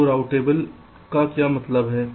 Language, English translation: Hindi, so what is meant by routable